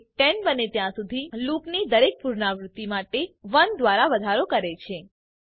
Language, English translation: Gujarati, It keeps increasing by 1 for every iteration of the loop until it becomes 10